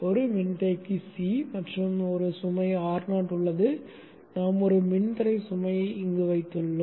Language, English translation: Tamil, This is a capacitor C and a load R not, but now we have put a resistive load